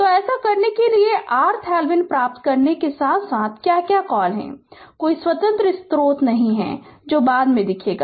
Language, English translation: Hindi, So, to do this right you have to obtain R Thevenin as well as what you call that are there is no independent source that will see later right